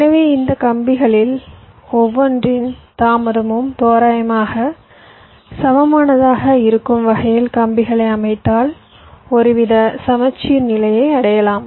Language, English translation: Tamil, so so if you lay out the wires in such a way that the delay on each of this wires will be approximately equal, to the extent possible, then you can achieve some kind of a symmetry